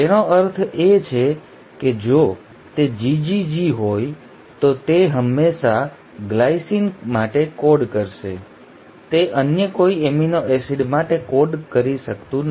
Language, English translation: Gujarati, It means if it is GGG it will always code for a glycine, it cannot code for any other amino acid